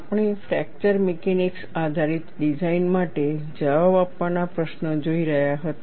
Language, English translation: Gujarati, We were looking at questions to be answered for a fracture mechanics based design